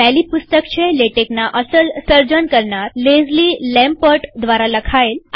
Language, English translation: Gujarati, The first one is by the original creator of Latex, Leslie Lamport